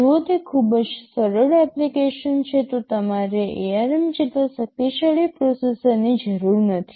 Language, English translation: Gujarati, If it is a very simple application you do not need a processor as powerful as ARM